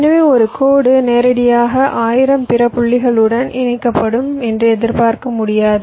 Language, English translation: Tamil, so i mean you cannot expect a single line to be connected directly to thousand other points